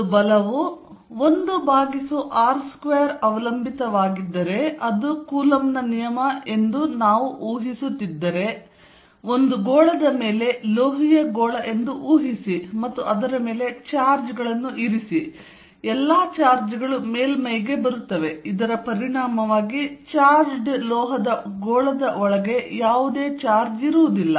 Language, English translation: Kannada, If a force is 1 over r square dependent which we are assuming coulomb's law is then on a sphere, then if I take a sphere, say metallic sphere and put charges on it all the charges will come to the surface with the result that there will be no charge inside a charged metal sphere